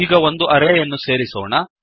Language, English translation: Kannada, Now, let us add an array